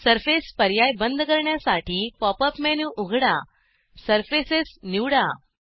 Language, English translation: Marathi, To turn off the surface option, open the Pop up menu, choose Surfaces